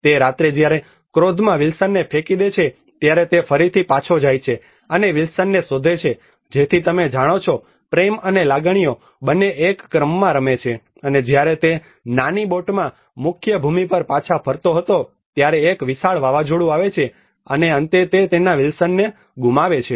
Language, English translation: Gujarati, That night when he throws Wilson out in his anger he again goes back and searches for Wilson so with both love and emotions you know play in a sequence and when he was travelling back to the mainlands in a small boat a huge hurricane comes and finally he loses his Wilson